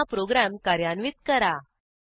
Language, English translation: Marathi, Let us execute the program again